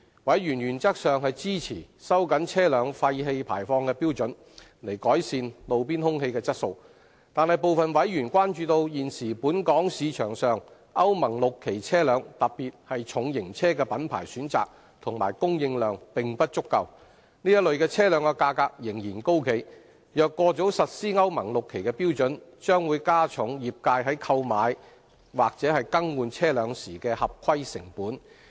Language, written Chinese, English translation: Cantonese, 委員原則上支持收緊車輛廢氣排放標準，以改善路邊空氣質素，但部分委員關注現時本港市場上歐盟 VI 期車輛的品牌選擇及供應量並不足夠，這類車輛的價格仍然很高；若過早實施歐盟 VI 期標準，將會加重業界在購買或更換車輛時的合規成本。, Members support in principle tightening the vehicle emission standards with a view to improving roadside air quality . But some Members are concerned that the existing choices of brands and supply of Euro VI vehicles heavy duty vehicles in particular are insufficient in the local market . The prices of such vehicles remain high